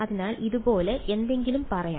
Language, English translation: Malayalam, So, let say something like this ok